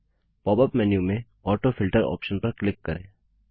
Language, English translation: Hindi, Click on the AutoFilter option in the pop up menu